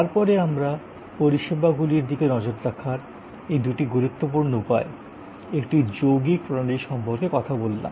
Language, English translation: Bengali, We then talked about these two important ways of looking at services, a composite system